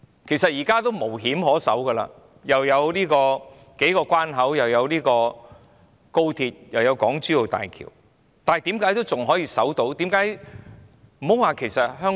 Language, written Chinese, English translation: Cantonese, 其實，現在地理上也是互通的，因為既有數個關口，又有高鐵，又有港珠澳大橋，但香港仍然可以守着本身的制度。, In fact we are now interconnected geographically as there are several boundary control points high speed rail and the Hong Kong - Zhuhai - Macau Bridge but Hong Kong can still maintain its own systems